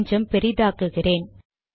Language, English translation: Tamil, Let me also make it slightly bigger